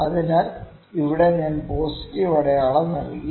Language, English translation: Malayalam, So, here I have put positive sign here